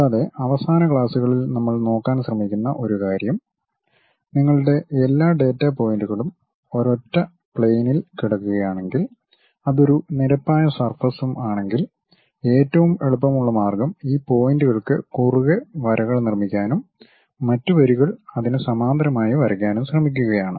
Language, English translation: Malayalam, And, one of the thing what we try to look at in the last classes was if it is a plane surface if all your data points lying on one single plane, the easiest way is trying to construct lines across these points and drawing other lines parallelly to that